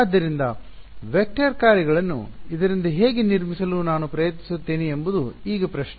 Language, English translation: Kannada, So, now the question is how do I try to construct vector functions out of this